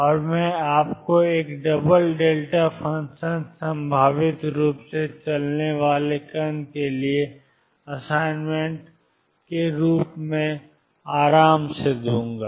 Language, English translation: Hindi, And I will give you rest as the assignment for a particle moving in a double delta function potentially